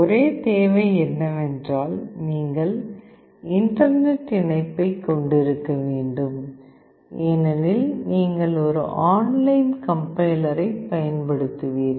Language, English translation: Tamil, The only requirement is that you need to have internet connection because you will be using an online compiler